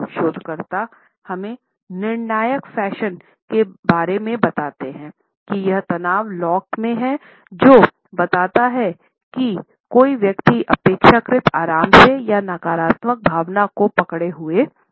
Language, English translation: Hindi, Researchers tell us almost in a conclusive fashion that it is the tension in the lock which suggest whether a person is relatively relaxed or is holding back a negative emotion